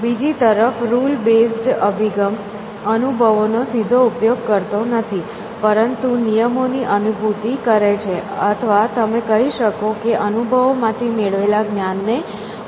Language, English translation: Gujarati, The rule base approach is on the other hand, does not use experiences directly, but realize on rules or you might say negates of knowledge extracted from experiences